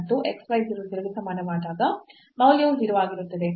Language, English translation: Kannada, And the value is 0 when x y equal to 0 0